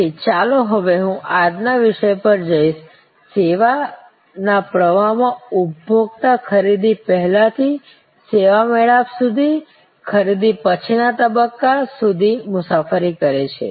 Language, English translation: Gujarati, So, let me now go to the topic of day, the consumer in the services flow traveling from the pre purchase to the service encounter to the post purchase stage